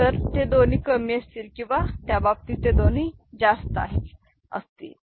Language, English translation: Marathi, So, both of them will be low or both of them will be high in that case